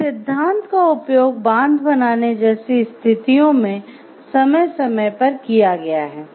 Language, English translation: Hindi, So, this theory has been used time and again while like in situations like building dams